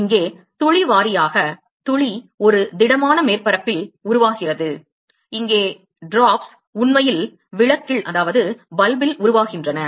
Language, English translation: Tamil, Here the drop wise the drop are forming at a solid surface here the drops are actually forming in bulb